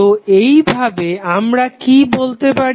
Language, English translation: Bengali, So, in that way what we can say